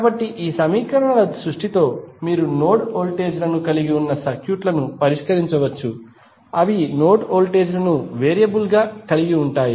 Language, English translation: Telugu, So, with this equation creation you can solve the circuits which are having node voltages, which are having node voltages as a variable